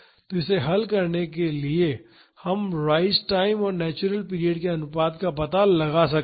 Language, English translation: Hindi, So, to solve this we can find out the ratio of the rise time and the natural period